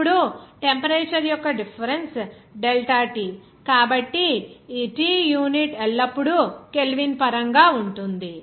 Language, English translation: Telugu, Now, the difference of the temperature is delta T, so this T of course always will be in terms of unit Kelvin